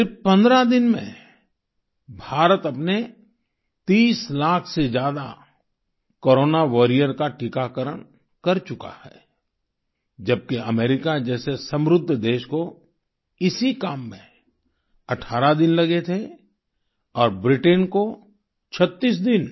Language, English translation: Hindi, In just 15 days, India has vaccinated over 30 lakh Corona Warriors, whereas an advanced country such as America took 18 days to get the same done; Britain 36 days